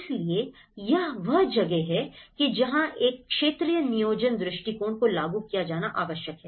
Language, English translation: Hindi, So, that is where a regional planning approach should be implemented